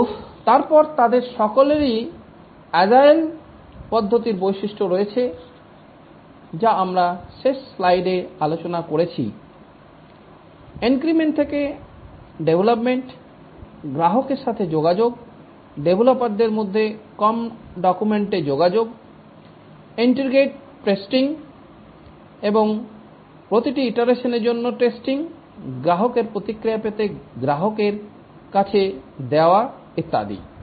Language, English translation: Bengali, But then they all have the features of the agile methodologies which we just so discussed in the last slide, development over increments, interaction with the customer, less documentation, interaction among the developers, testing, integrating and testing over each iteration, deploying, getting customer feedback and so on